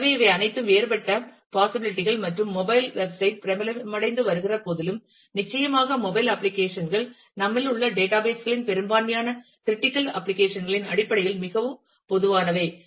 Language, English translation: Tamil, So, these are all different possibilities and even though mobile website is also becoming popular, but certainly mobile apps are very, very common in terms of a majority of critical applications of data bases that we have